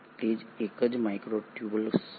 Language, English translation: Gujarati, That is what is a microtubule